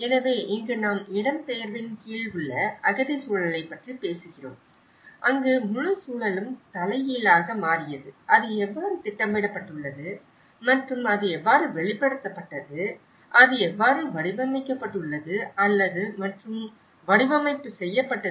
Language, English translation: Tamil, So, here because we are talking about the refugee context under displacement where the whole context has been reversed out and how it is programmed in time and how it has been manifested, how it has been shaped and reshaped